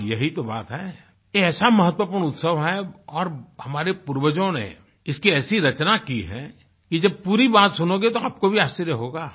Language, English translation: Hindi, See, that's the thing, this is such an important festival, and our forefathers have fashioned it in a way that once you hear the full details, you will be even more surprised